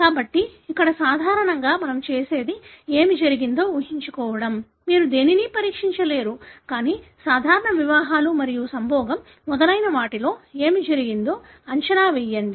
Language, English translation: Telugu, So, here normally what we do is we infer from what has happened; you cannot test anything, but infer from what has happened in the normal course of marriages and mating and so on